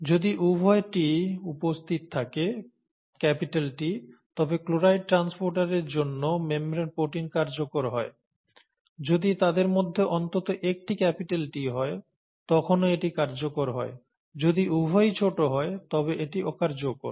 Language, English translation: Bengali, If both capital Ts are present, then the membrane protein for chloride transporter is functional; if at least one of them is capital T, then it is functional; if both are small, then it is non functional